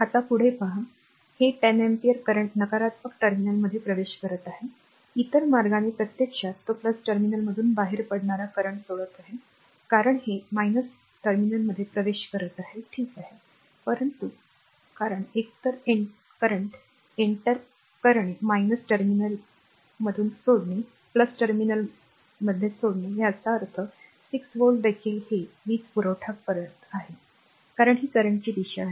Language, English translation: Marathi, Now, next is if you look into this, this 10 ampere current entering the negative terminal other way actually it is leaving the current leaving the plus terminal, because this is entering a minus terminal ok, but because either entering minus terminal or leaving the plus terminal; that means, 6 volt also it is supplying power because this is the direction of the current